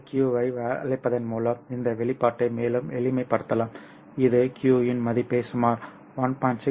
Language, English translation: Tamil, So you can further simplify this expression by calling this Q, I mean writing down the value of Q which would be about 1